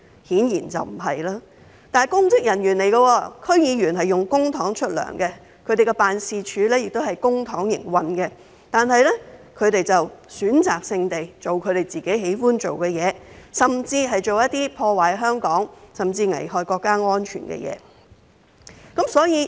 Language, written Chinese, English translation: Cantonese, 區議員是公職人員，並以公帑支薪，其辦事處亦是以公帑營運，但他們卻選擇性地做自己喜歡的事，做破壞香港甚至危害國家安全的事。, DC members are public officers who are under public payroll and their offices are funded by public money . Nevertheless they choose to do only the things they like something that damages Hong Kong and even endangers national security